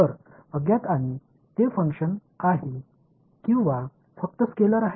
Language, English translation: Marathi, So, unknown and are they functions or just scalars